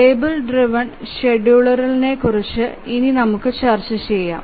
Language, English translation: Malayalam, And now let's look at the table driven scheduler